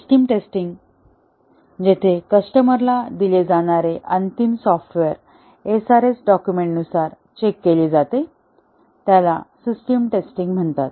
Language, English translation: Marathi, Whereas the system testing, where the final software that is to be delivered to the customer is tested against the SRS document is known as system testing